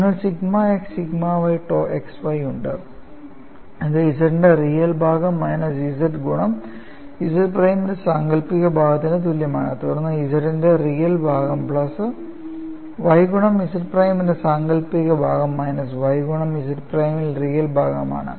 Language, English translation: Malayalam, You have sigma x sigma y tau xy, which is equal to real part of capital ZZ minus y, imaginary part of capital ZZ prime, wthen real part of capital ZZ plus y imaginary part of capital ZZ prime minus y real part of capital ZZ prime